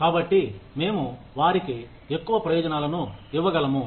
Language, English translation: Telugu, So, we can give them, more benefits